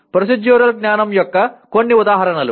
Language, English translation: Telugu, Some examples of Procedural Knowledge